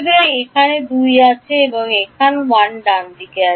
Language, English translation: Bengali, So, there is 2 here and there is 1 over here right